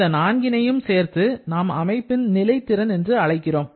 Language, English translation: Tamil, So, these 4 together are called the potential of the system